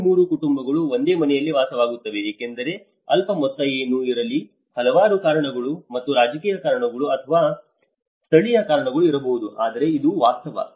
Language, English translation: Kannada, Three families still live in the same house because whatever the meager amount is not, so there might be many various reasons or political reasons or the local reasons, but this is the reality